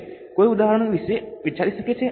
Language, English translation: Gujarati, Can somebody think of the example